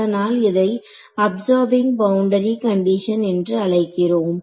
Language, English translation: Tamil, So hence, the word absorbing boundary condition